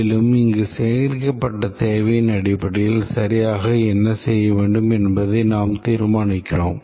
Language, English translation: Tamil, And based on this gathered requirement, need to check what exactly is to be done